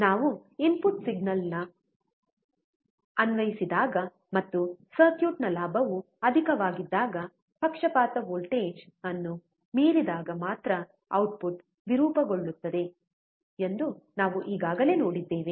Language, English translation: Kannada, We have already seen that when we apply input signal and the gain of the circuit is high, the output will be distorted only when it exceeds the bias voltage